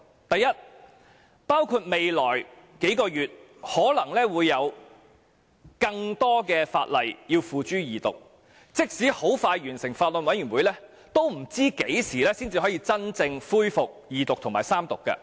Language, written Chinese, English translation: Cantonese, 第一，未來數月可能會有更多法案付諸二讀，即使法案委員會很快完成審議，也不知何時才可以真正恢復二讀及三讀。, First in the next couple of months additional Bills will be presented for Second Reading . In other words even if the Bills Committee can complete the scrutiny expeditiously it remains unknown when this Council will resume the Second Reading of the Bill and then Third Reading